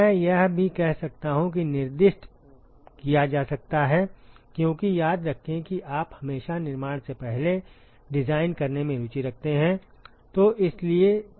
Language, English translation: Hindi, I may even say that may be specified because remember that you are always interested in designing before fabrication